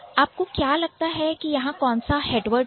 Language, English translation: Hindi, Which one is the head word here